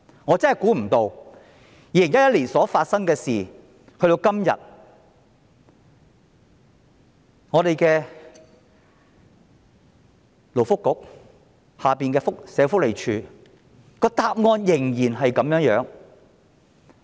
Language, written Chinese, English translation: Cantonese, 我真的估不到，這事在2011年發生，但及至今日，勞工及福利局轄下的社會福利署的答案仍是一樣。, This incident took place in 2011 . To my surprise the answer given by the Social Welfare Department SWD under the Labour and Welfare Bureau today is still the same